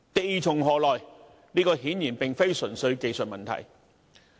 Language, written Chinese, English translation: Cantonese, 地從何來，顯然並非純粹技術問題。, The source of land is obviously not a purely technical issue